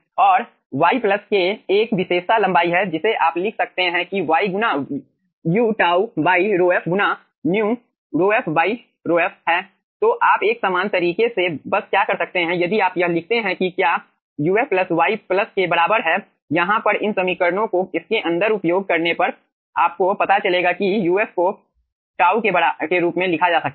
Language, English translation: Hindi, you can write down that 1 as y into u tau, by rho f into mu, rho f divided by mu f, right, so what you can do just in a similar fashion, if you write down that what is uf plus equals to y plus over here, using this, this equations inside this, then you will be finding out uf can be written in the form of tau